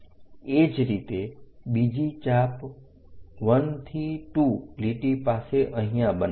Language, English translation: Gujarati, Similarly, make another arc from here 1 to 2 line